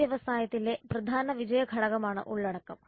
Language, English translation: Malayalam, Content is the key success factor in this industry